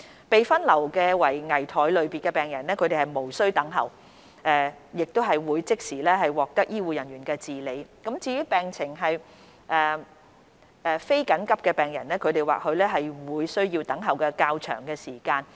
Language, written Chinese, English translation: Cantonese, 被分流為危殆類別的病人，他們無須等候，會即時獲得醫護人員治理。至於病情非緊急的病人，他們或會需要等候較長時間。, Patients triaged as critical will be treated immediately by healthcare staff without having to wait while those with non - urgent conditions may have to wait longer